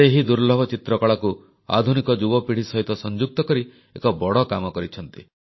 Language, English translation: Odia, He is doing a great job of extending this rare painting art form to the present generation